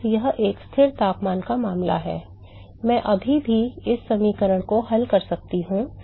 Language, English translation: Hindi, Now it is a constant temperature case I could still solve this equation